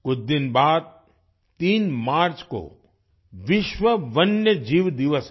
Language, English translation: Hindi, A few days later, on the 3rd of March, it is 'World Wildlife Day'